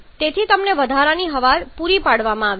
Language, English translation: Gujarati, Therefore you have been supplied with excess air